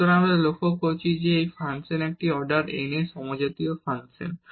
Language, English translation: Bengali, So, what we observe that this is a function this is a homogeneous function of order n